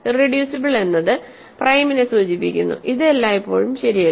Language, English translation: Malayalam, Irreducible implies prime, not always true